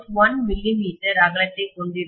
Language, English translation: Tamil, 1 millimeter width, okay